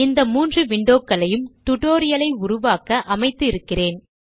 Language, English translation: Tamil, I have organized these three windows, for the purpose of creating this spoken tutorial